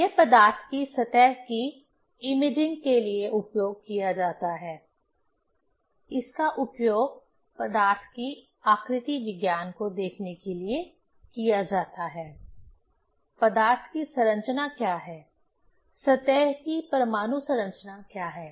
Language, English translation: Hindi, This is used for imaging the surface of the material; it is used to see the morphology of the material, what is the structure, atomic structure of the surface, of the material